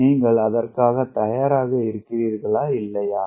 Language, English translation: Tamil, are you prepared for that or not